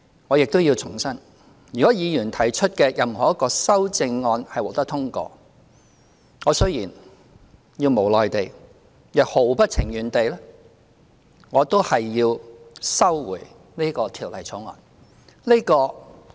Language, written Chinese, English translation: Cantonese, 我亦要重申，如果議員提出的任何一項修正案獲得通過，我雖然無奈也毫不情願，但也要收回這項《條例草案》。, I must also reiterate that should any amendment proposed by Members be passed I will withdraw the Bill with great reluctance and unwillingness